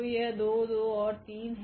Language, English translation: Hindi, So, this is 2 2 3